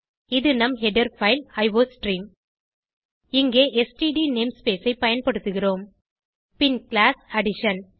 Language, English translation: Tamil, This is our header file as iostream Here we have used std namespace